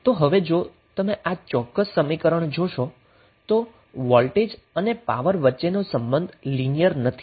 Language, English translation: Gujarati, So now if you see this particular equation the relationship between voltage and power is not linear